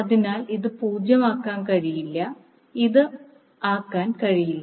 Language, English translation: Malayalam, So this cannot be 0, this is again cannot be